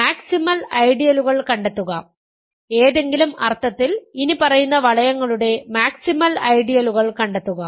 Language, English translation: Malayalam, Find the maximal ideals; find in some sense the maximal the maximal ideals of the following rings